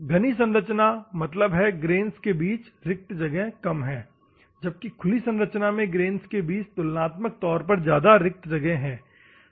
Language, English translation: Hindi, Dense structure; that means that close grain spacing, open structure relatively wide spacing, ok